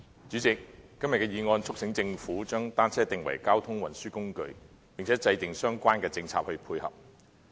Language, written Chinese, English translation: Cantonese, 主席，今天的議案促請政府將單車定為交通運輸工具，並制訂相關的政策配合。, President the motion today seeks to urge the Government to designate bicycles as a mode of transport and formulate related complementary policies